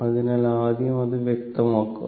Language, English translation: Malayalam, So, first let me clear it